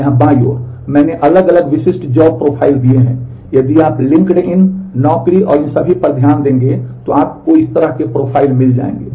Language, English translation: Hindi, Here on the left, I have given different typical job profiles this is if you look into LinkedIn, Naukri and all that you will find these kind of profiles being